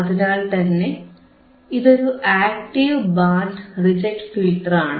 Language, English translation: Malayalam, And we will see active band reject filter, what is